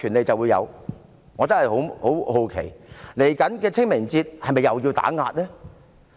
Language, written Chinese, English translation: Cantonese, 我真的感到很好奇，在稍後的清明節，是否又會進行打壓呢？, I am indeed curious . In the upcoming Ching Ming Festival will there be suppression again?